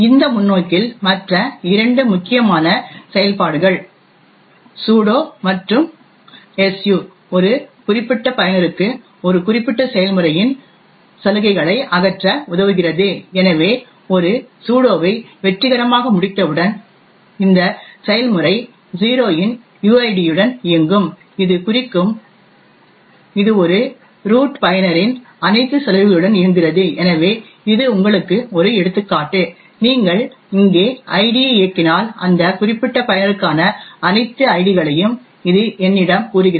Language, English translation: Tamil, Two other important functions in this perspective are the sudo and su, the sudo and su, lets a particular user eliminate the privileges of a particular process, so on a completing a sudo successfully the process would then run with uid of 0 which would imply that it runs with all the privileges of a root user, so which is to you an example, if you run id over here, it tells me all the ids for that particular user